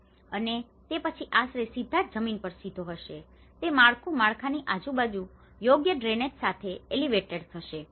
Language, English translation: Gujarati, And then the shelter would be erectly directly on the ground, elevated that floor with proper drainage around the structure